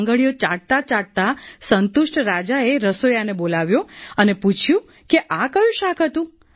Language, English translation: Gujarati, Licking his fingers, the king called the cook and asked… "What vegetable is it